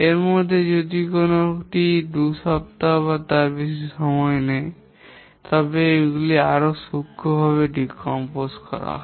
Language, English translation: Bengali, If any of these takes more than a week or 2, then these are decomposed into more finer level